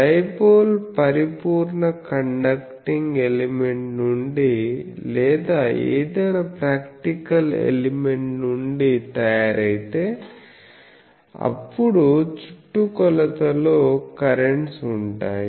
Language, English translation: Telugu, If the dipole is made from a perfect conducting elements or any practical elements, then there will be currents in the circumference